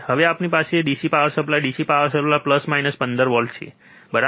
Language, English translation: Gujarati, Now, we have here on this DC power supply, DC power supply, plus 15 minus 15 right